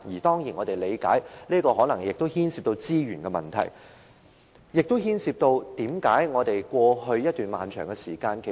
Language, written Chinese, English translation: Cantonese, 當然，我們理解，這可能牽涉資源問題，以致過去拖延了一段長時間。, We of course understand that this may involve the issue of resources the processing of applications has been delayed for quite some time